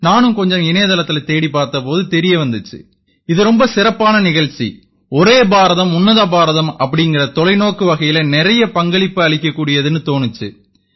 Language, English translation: Tamil, I again searched a little on the internet, and I came to know that this is a very good program, which could enable one to contribute a lot in the vision of Ek Bharat Shreshtha Bharat and I will get a chance to learn something new